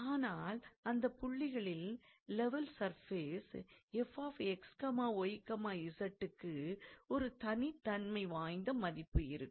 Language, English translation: Tamil, But the points the level surface f x, y, z must have a unique value because the point is same